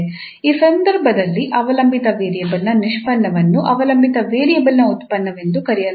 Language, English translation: Kannada, The derivative of the dependent variable is known in this case as a function of dependent variable itself